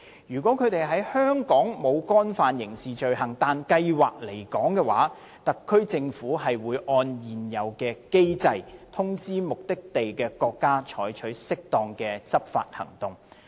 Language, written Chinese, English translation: Cantonese, 如果他們在香港沒有干犯刑事罪行但計劃離港，特區政府會按現有機制，通知目的地國家採取適當的執法行動。, If they have not committed criminal offences in Hong Kong but plan to leave Hong Kong the HKSAR Government will notify the states of their destination in accordance with existing mechanisms for appropriate enforcement actions to be taken